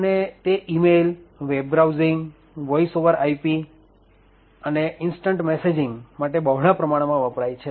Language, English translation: Gujarati, It is widely used for applications such as email, web browsing, VoIP and instant messaging